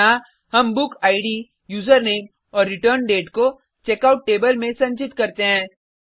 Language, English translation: Hindi, Here, we store the book id, userName and returndate into the Checkout table